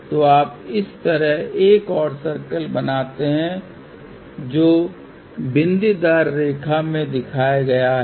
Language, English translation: Hindi, So, you draw another circle like this which has been shown in the dotted line